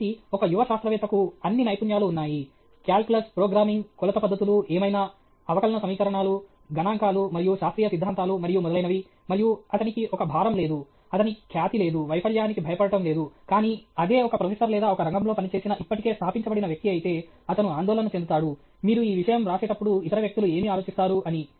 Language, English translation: Telugu, So, a young scientist has all the skill calculus, programming okay, measurement techniques, whatever, differential equations, statistics, and scientific theories and so on, and but he doesn’t have a baggage he doesn’t have a reputation, that he is not scared of failure, but if a professor or somebody who has worked in a field, who is already established, he is worried what will other people think when you write this thing